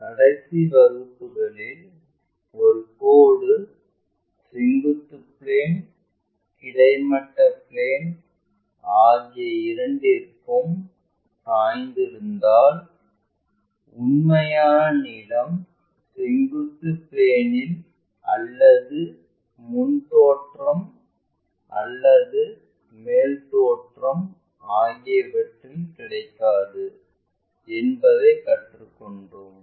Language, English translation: Tamil, In the last classes we have learnt, if a line is inclined to both vertical plane, horizontal plane, true length is neither available on vertical plane nor on a frontfront view or the top views